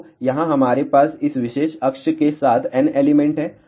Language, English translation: Hindi, So, here we have n elements along this particular axis